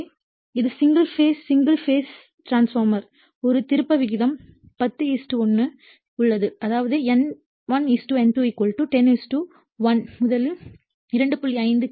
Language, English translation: Tamil, So, that will be single phase single phase transformer has a turns ratio 10 is to 1 that is N1 is to N2 = 10 is to 1 and is fed from a 2